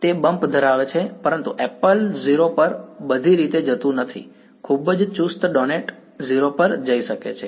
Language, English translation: Gujarati, It has a bump, but apple does not go all the way to 0 right very tight donut can go to 0